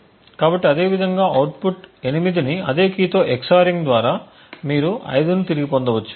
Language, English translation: Telugu, So, a similarly by EX ORING again the output 8 with that same key you re obtain 5